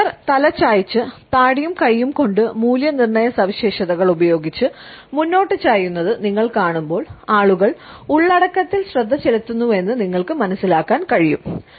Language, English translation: Malayalam, When you see an audience tilting their heads and leaning forward using hand to chin evaluation gestures, you can understand that people are paying attention to the content